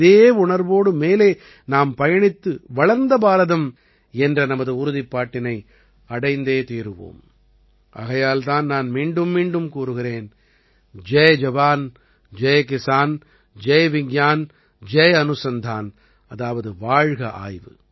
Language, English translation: Tamil, Moving ahead with this fervour, we shall achieve the vision of a developed India and that is why I say again and again, 'Jai JawanJai Kisan', 'Jai VigyanJai Anusandhan'